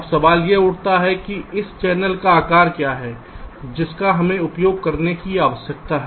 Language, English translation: Hindi, now the question arises that what is the size of this channel we need to use